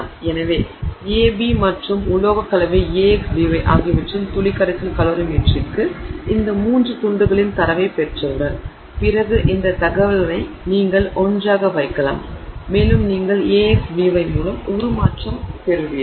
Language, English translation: Tamil, So, once you get these three pieces of data of the drop solution calibrometry for A, for drop solution calerometry for B and for the alloy AX, B, then you can put this information together and you get this transformation of AX, B